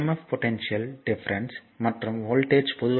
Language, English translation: Tamil, So, this emf is also known as the potential difference and voltage